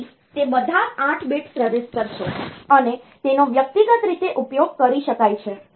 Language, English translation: Gujarati, So, all of them are 8 bit register, and can be used singly